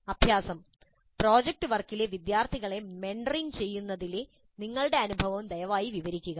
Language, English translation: Malayalam, And please describe your experience in mentoring students in the project work